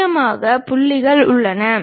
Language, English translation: Tamil, There are important points